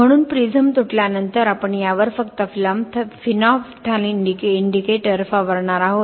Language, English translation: Marathi, So after the prism is broken, so we are just going to spray the phenolphthalein indicator over this